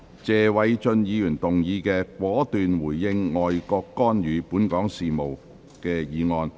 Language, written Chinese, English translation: Cantonese, 謝偉俊議員動議的"果斷回應外國干預本港事務"議案。, Mr Paul TSE will move a motion on Responding decisively to foreign countries interference in Hong Kongs affairs